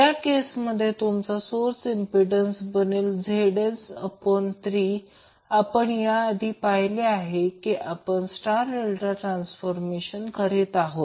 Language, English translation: Marathi, In that case your source impedance will be become Zs by 3 as we have already seen when we were doing the star delta transformation